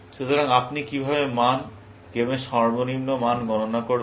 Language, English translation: Bengali, So, how would you compute the value, minimax value of the game